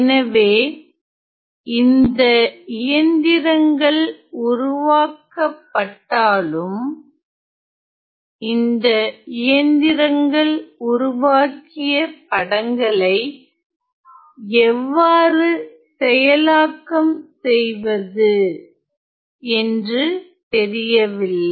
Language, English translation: Tamil, So, although the machines were developed it was not known how to process those images developed by this machines